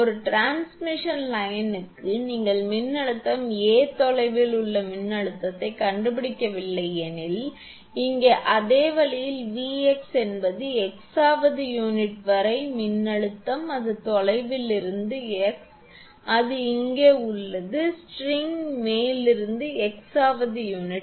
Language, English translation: Tamil, As if for a transmission line you have also done no find out the suppose that voltage V x at a distance x, here similar way let V x is the voltage up to the x th unit there it was at distance x here it is at up to the x th unit from the top of the string